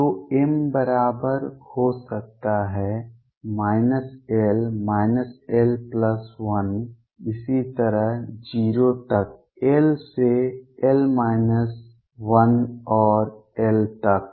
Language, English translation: Hindi, So, m can be equal to minus l, minus l plus 1 so on up to 0 1 to l minus 1 and l